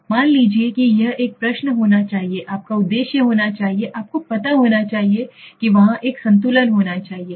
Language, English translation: Hindi, Suppose there is a, this is where you should be your question, should be your objective should be you know there has to be a balance